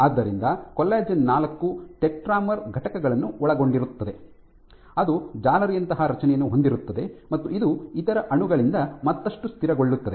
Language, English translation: Kannada, So, what collagen IV consists of it forms is tetramer units which then come together to form this mesh like structure which is further stabilized by other molecules inside